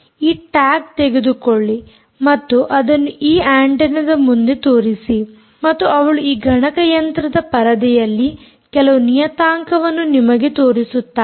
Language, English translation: Kannada, ah, she will bring, take this tag and show it in front of this antenna and she will show you a few parameters on this computer screen